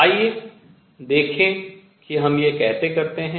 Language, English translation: Hindi, Let us see how we do that